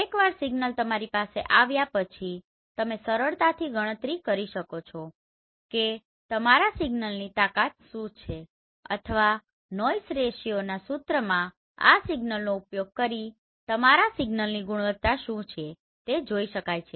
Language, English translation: Gujarati, So once you are having this you can easily calculate what is the strength of your signal or what is the quality of your signal using this signal to noise ratio formula right